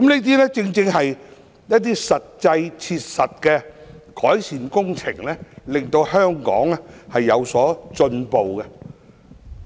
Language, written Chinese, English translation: Cantonese, 凡此種種，皆是切實的改善工程，讓香港進步。, All these are practical improvement works that can enable Hong Kong to progress